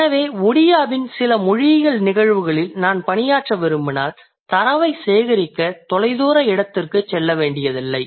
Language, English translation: Tamil, So if I want to work on certain linguistic phenomena in Odea, I may not have to go to a far of place to collect data